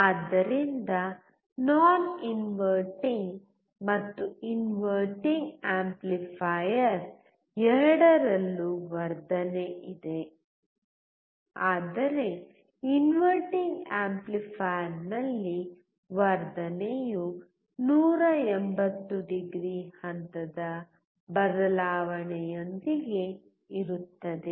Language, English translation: Kannada, So, in both non inverting and inverting amplifier, there is amplification, but in inverting amplifier, the amplification is accompanied by a phase change of 180o